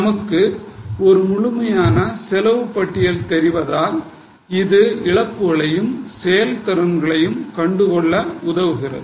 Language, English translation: Tamil, Since we know detailed cost record, it helps us in identifying losses and efficiencies